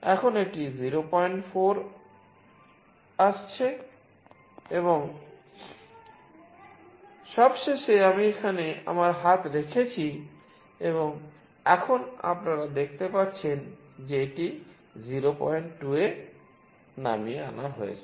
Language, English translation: Bengali, 4 and finally, I have put my hand here and now you see that it has been reduced to 0